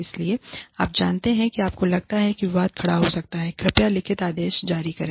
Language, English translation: Hindi, So, you know, wherever you feel, that a controversy can come up, please issue written orders